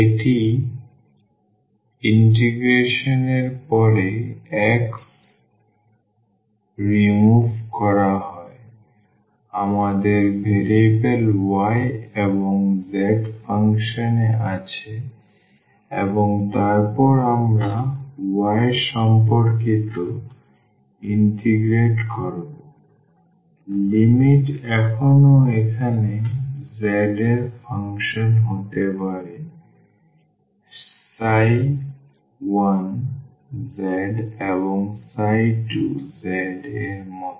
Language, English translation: Bengali, After this integration the x is removed we have the function of variable y and z and then we are integrating with respect to y the limits still can be the function of z like here psi 1 z and psi 2 z